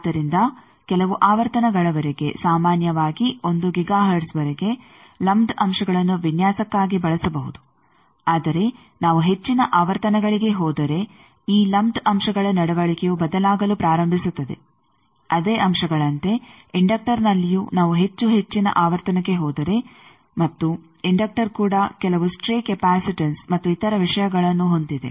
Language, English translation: Kannada, So, up to certain frequencies typically up to 1 giga hertz lumped elements can be used for designing, but if we go at higher frequencies then these lumped elements their behaviour starts changing the same element, like a inductor if we go higher and higher in frequency and inductor also have some stray capacitances and other things